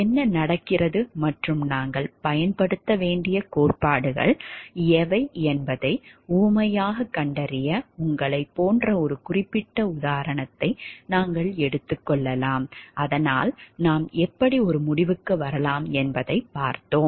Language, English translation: Tamil, We can take a particular example to find out like as an illustration what is happening and which are the theories that we need to use; so that we can a see like how do we reach a conclusion